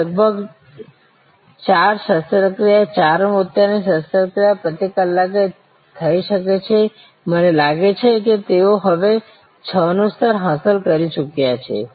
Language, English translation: Gujarati, Now, about four operations, four cataract operations could be done per hour, I think they have now achieved the level of six